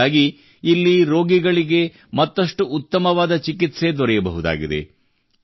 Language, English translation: Kannada, With this, patients will be able to get better treatment here